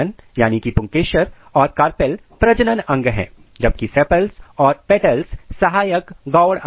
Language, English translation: Hindi, Stamens and carpels are the reproductive organ whereas, sepals and petals they are accessory organ